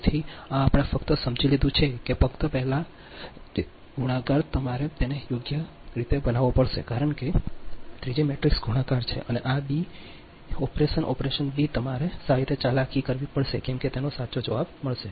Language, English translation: Gujarati, only thing is that, just on before, that only thing is that this multiplication you have to make it in correct way, because three, three, three matrix multiplications are there and this beta operation, beta operation you have to manipulate in better way such that you will get this correct answer